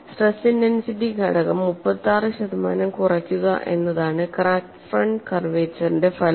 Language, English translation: Malayalam, The effect of crack front curvature is to decrease the stress intensity factor by 36 percent